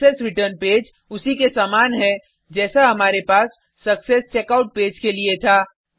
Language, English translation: Hindi, The successReturn page is similar to that we had for successCheckout page